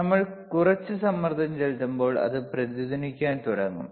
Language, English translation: Malayalam, wWhen we apply some pressure, it will start resonating